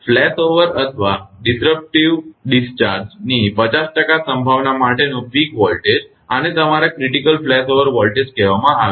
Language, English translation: Gujarati, The peak voltage for a 50 percent probability of flashover or disruptive discharge, this is called your critical flashover voltage